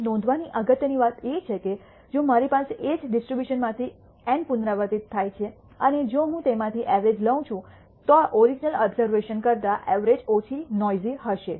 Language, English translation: Gujarati, The important point here to be noted is, if I have N repeats from the same distribution and if I take the average of them, the average will be less noisy than the original observations